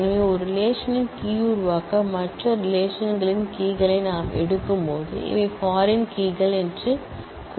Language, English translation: Tamil, So, when we take the keys of other relations to form the key of a relation then we say that these are foreign keys